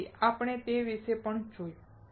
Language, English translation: Gujarati, So, we will see about that also